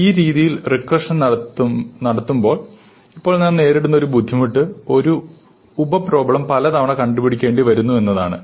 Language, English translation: Malayalam, So, now one of the difficulties we face when we do recursion in this manner is that the same sub problem becomes up for solution many times